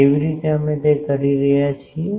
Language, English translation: Gujarati, How, we are doing that